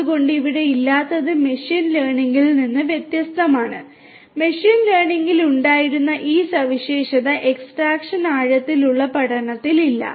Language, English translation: Malayalam, So, what is absent over here is unlike in the case of machine learning, this feature extraction which was there in machine learning is not there in deep learning